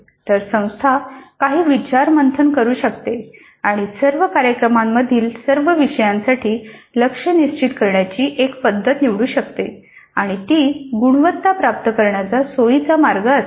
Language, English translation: Marathi, So the institute can do certain brainstorming and they choose one method of setting the target for all the courses in all the programs and that would be a convenient way of achieving the quality